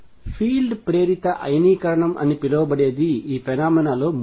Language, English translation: Telugu, Third of phenomena which is known as field induced ionization